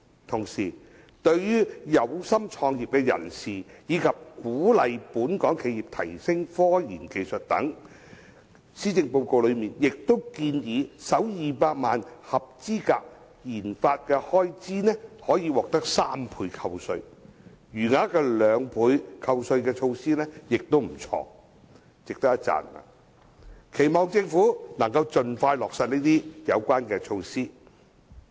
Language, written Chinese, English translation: Cantonese, 同時，為鼓勵有心創業人士及本港企業提升科研技術等，施政報告內亦建議首200萬元的合資格研發開支可獲3倍扣稅，餘額的兩倍扣稅措施也值得一讚，期望政府可以盡快落實。, Also to encourage people to start businesses and local enterprises to engage in research and development RD the Policy Address also proposes that the first 2 million eligible RD expenditure will enjoy a 300 % tax deduction with the remainder at 200 % . This proposal is also praiseworthy and I hope that the Government will implement it expeditiously